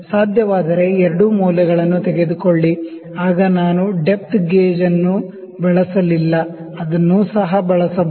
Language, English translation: Kannada, Take both readings at least if possible then also I did not use that depth measurement, I can also use the depth gauge